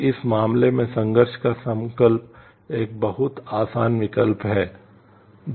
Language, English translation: Hindi, So, in this case the resolution of conflict is a very easy choice